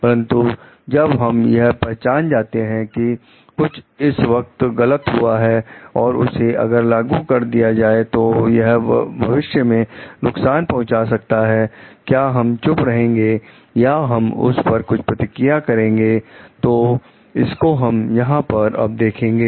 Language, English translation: Hindi, But, when we have recognized something is wrong which at present, which may have an implication of harm in future should we keep quiet or should we try to act on it, so that is what we will review now